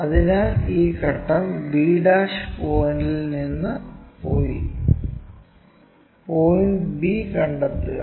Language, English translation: Malayalam, So, the step goes from b ' locate point b and join a b